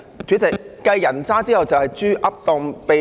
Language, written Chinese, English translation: Cantonese, 主席，繼"人渣"後，有"豬噏當秘笈"。, Chairman after scum comes talk hogwash as if it is a magic bullet